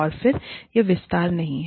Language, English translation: Hindi, And again, this is not the detail